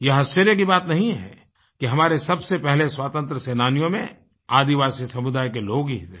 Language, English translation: Hindi, There is no wonder that our foremost freedom fighters were the brave people from our tribal communities